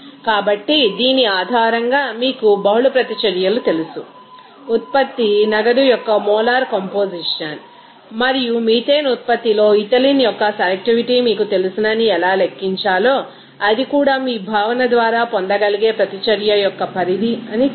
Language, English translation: Telugu, So, in this way based on this you know multiple reactions, how to calculate that you know that molar composition of the product cash and the selectivity of the ethylene into methane production that too can actually obtained by that concept of you know extent of reaction